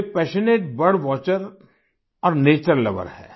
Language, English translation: Hindi, He is a passionate bird watcher and a nature lover